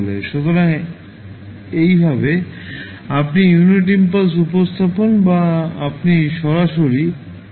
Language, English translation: Bengali, So, this is how you will represent the unit impulse or you will say direct delta function